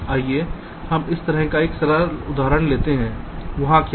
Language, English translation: Hindi, lets take ah simple example like this: what is there